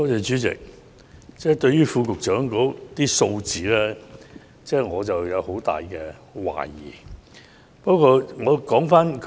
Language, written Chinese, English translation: Cantonese, 主席，對於局長提供的數字，我有很大懷疑。, President I have a lot of doubts about the figures provided by the Secretary